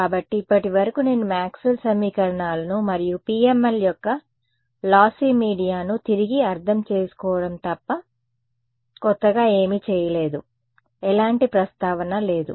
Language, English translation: Telugu, So, so far I have not done anything new except just reinterpret Maxwell’s equations and lossy media right there is no mention whatsoever of PML ok